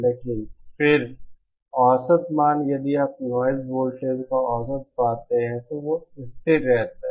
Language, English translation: Hindi, But then, the average value if you find the average of the noise voltage, then that remains constant